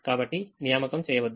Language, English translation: Telugu, don't make an assignment